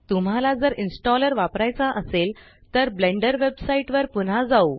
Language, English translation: Marathi, Now if you want to use the installer, lets go back to the Blender Website